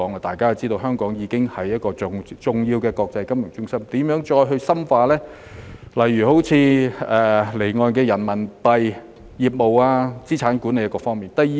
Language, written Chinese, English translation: Cantonese, 大家也知道，香港已經是重要的國際金融中心，我們應如何再深化離岸人民幣業務、資產管理各方面呢？, As we all know Hong Kong is already a major financial centre in the world . How can we further enhance our offshore Renminbi business asset management etc?